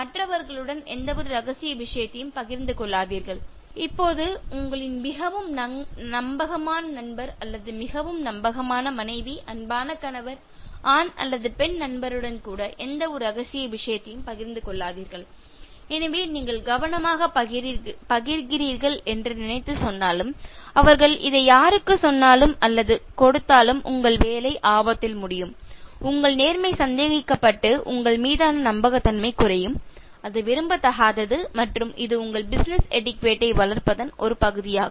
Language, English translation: Tamil, Now, do not share any confidential matter with others, including your most trusted friend or most trusted wife, beloved husband, boy or girlfriend, so thinking that you are sharing in advertently, even if they say this or give him to someone your job is in jeopardy, more than that your integrity is doubted and the credibility goes down and that is undesirable and this is part of developing your business etiquette